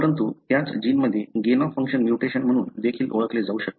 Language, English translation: Marathi, But, the same gene could also have what is called as a gain of function mutation